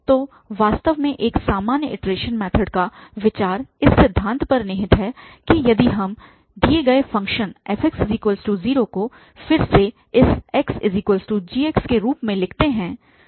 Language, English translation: Hindi, So, the idea of general, indeed a general iteration method lies on this principle that if we rewrite the given function fx equal to 0 in this form that x is equal to gx